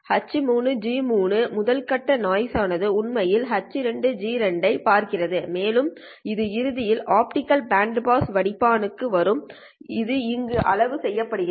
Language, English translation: Tamil, The first stage noise is actually seeing H2, G2 and so on and eventually it will come to the optical bandpass filter at which it gets limited